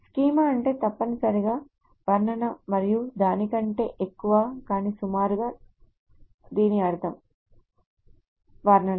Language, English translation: Telugu, , schema means essentially a description, and something more, but very roughly it means a description